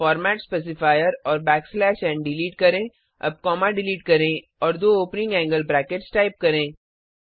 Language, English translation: Hindi, Delete the format specifier and back slash n, now delete the comma and type two opening angle brackets Delete the bracket here